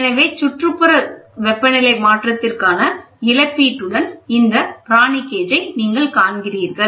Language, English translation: Tamil, So, you see this Pirani gauge with compensation for ambient temperature change